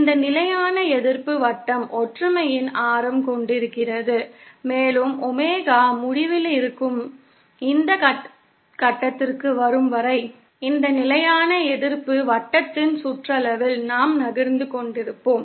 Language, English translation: Tamil, This constant resistance circle has a radius of unity and we shall be moving along the circumference of this constant resistance circle till become to this point where Omega is infinity